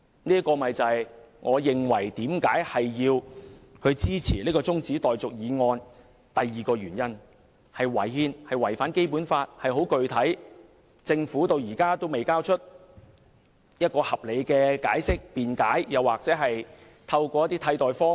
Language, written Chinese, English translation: Cantonese, 這是我支持這項中止待續議案的第二個原因，即"一地兩檢"違憲、違反《基本法》，政府至今仍未提供合理解釋，或採納替代方案。, The second reason why I support the adjournment motion is that the co - location arrangement is unconstitutional and infringes the Basic Law . The Government has yet to provide a reasonable explanation or adopt an alternative proposal